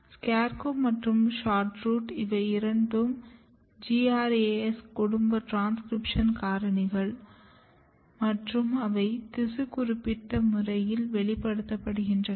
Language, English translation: Tamil, So, SCARECROW and SHORT ROOT, these are two GRAS family of transcription factor, they are a special transcription factor and they are expressed in a tissue specific manner